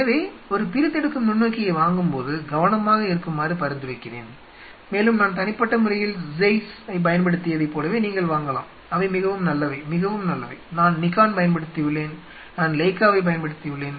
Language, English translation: Tamil, So, I will recommend careful while buying a dissecting microscope and go for like I personally have use Zeiss you are really good ones really good ones I have used Nikon I have even used Leica